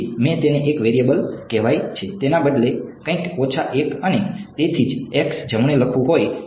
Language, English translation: Gujarati, So, I called it one variable x instead of having to write something minus 1 and so x right so, right